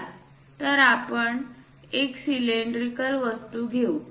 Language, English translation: Marathi, Let us take a cylindrical object, this one